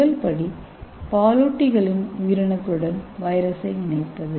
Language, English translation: Tamil, See the first step is attachment of virus to the mammalian cells